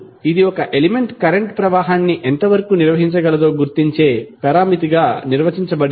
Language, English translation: Telugu, Now, it is defined as a major of how well an element can conduct the electric current